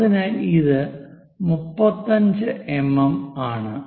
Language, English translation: Malayalam, So, it is 35 mm